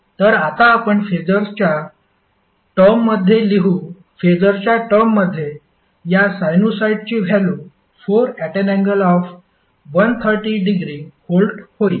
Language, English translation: Marathi, So now what you will write in phaser terms, the phaser terms, the value of this sinusoid is 4 angle 130 degree volt